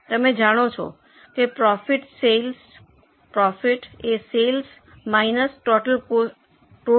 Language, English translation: Gujarati, Overall you know that profit is sales minus total cost